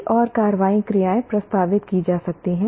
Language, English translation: Hindi, There can be many more action verbs be proposed